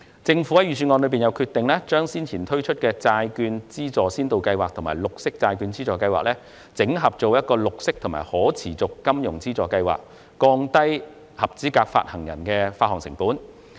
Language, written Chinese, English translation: Cantonese, 政府在預算案中決定將先前推出的債券資助先導計劃和綠色債券資助計劃，整合為綠色和可持續金融資助計劃，從而降低合資格發行人的發行成本。, In the Budget the Government has decided to consolidate the Pilot Bond Grant Scheme and the Green Bond Grant Scheme rolled out previously into a Green and Sustainable Finance Grant Scheme so as to lower the costs of issuance for eligible bond issuers